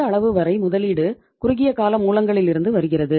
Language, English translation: Tamil, Up to this much extent the investment is coming from the short term sources